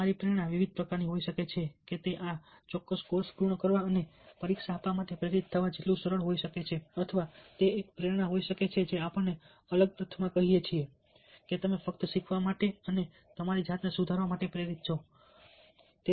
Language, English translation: Gujarati, could be as simple as being motivated to complete this course and take an exam, or it could be a motivation which is, ah, let say, different, in the sense that you are motivated to just learn and, ah, improve yourself in certain ways